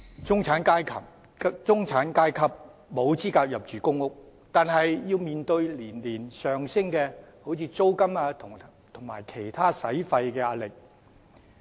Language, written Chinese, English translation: Cantonese, "中產階級沒有資格入住公屋，卻要面對年年上升的租金及其他支出的壓力。, The middle class is not eligible for public rental housing and yet they face pressure from the ever increasing rent year after year and other expenses